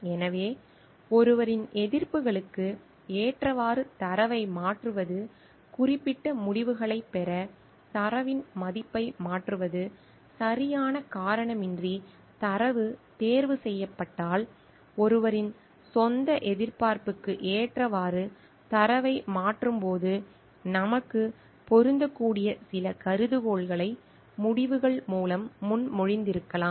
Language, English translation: Tamil, So, changing data to fit ones expectations, changing value of data to get certain results, if data selection is done without proper justification, when we are changing data to fit one's own expectation, we may have propose certain hypothesis that we wanted to fit our results